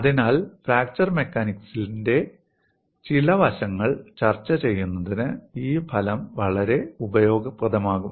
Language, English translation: Malayalam, So, this result is going to be quite useful for discussing certain aspects of fracture mechanics